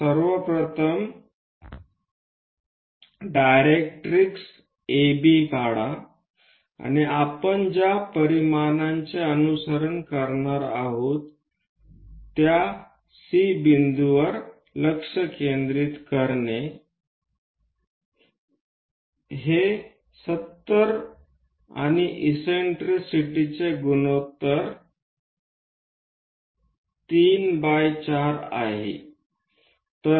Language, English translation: Marathi, So, first of all, draw a directrix AB and the dimensions what we are going to follow is focus from this C point supposed to be 70 and eccentricity ratio is 3 by 4